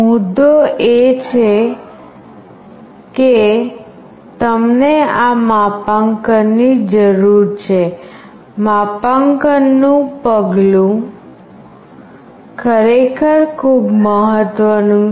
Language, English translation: Gujarati, The point is you need this calibration, the calibration step is really very important